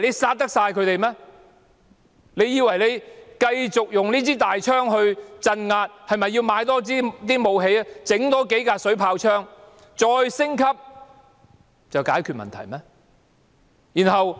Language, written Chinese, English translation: Cantonese, 政府以為繼續用槍來鎮壓，將裝備升級，添置武器，額外添置數輛水炮車，便可以解決問題嗎？, Does the Government think that it can solve the problem by ongoing crackdown with the gun upgrading their gear and also procuring additional weaponry such as a few more water cannon trucks?